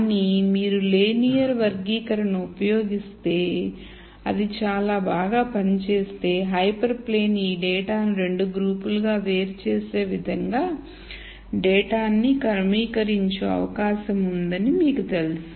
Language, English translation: Telugu, But if you use a linear classifier and it worked very very well then you know that the data is likely to be organized in such a way that a hyper plane could separate this data into two groups